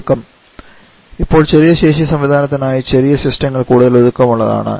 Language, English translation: Malayalam, Compactness; now for small capacity system, smaller systems are more compact